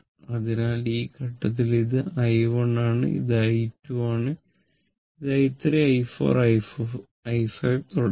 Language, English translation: Malayalam, So, at this point it is i 1 and this is i 2, this is i 3, i 4, i 5 and so on